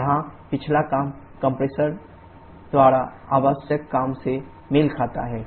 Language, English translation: Hindi, Here the back work corresponds the work required by the compressor